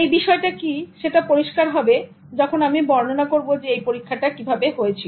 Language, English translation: Bengali, Now this will become clear when I tell you what was the experiment and the story behind the experiment